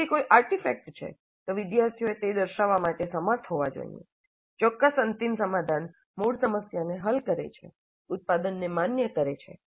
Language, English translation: Gujarati, If it is an artifact, the students must be able to demonstrate that that particular final solution does solve the original problem, validate the product